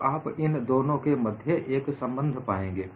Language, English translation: Hindi, So, you will get an inter relationship between the two